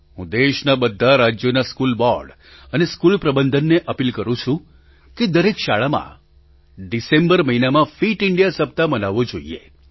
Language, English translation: Gujarati, I appeal to the school boards and management of all the states of the country that Fit India Week should be celebrated in every school, in the month of December